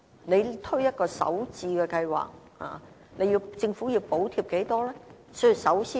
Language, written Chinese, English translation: Cantonese, 如果推出首置計劃，政府究竟要補貼多少錢呢？, If the Government launches a home - starter housing programme how much should the Government subsidize?